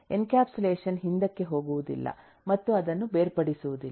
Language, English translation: Kannada, Encapsulation does not go back and rip that apart